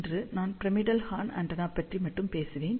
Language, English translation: Tamil, Today, I will talk only about pyramidal horn antenna